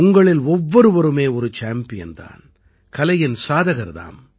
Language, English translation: Tamil, Each one of you, in your own right is a champion, an art seeker